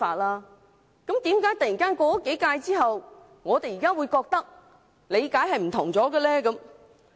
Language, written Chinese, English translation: Cantonese, 那麼，為何經過數屆之後，我們現在的理解卻突然變得不同了呢？, In that case why does our understanding change suddenly now after the passage of several terms of office?